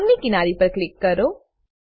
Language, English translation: Gujarati, Click on one edge of the bond